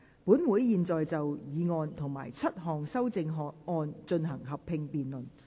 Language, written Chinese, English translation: Cantonese, 本會現在就議案及7項修正案進行合併辯論。, This Council will now proceed to a joint debate on the motion and the seven amendments